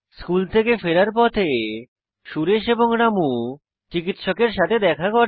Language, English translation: Bengali, On the way back from school Suresh and Ramu meet the dentist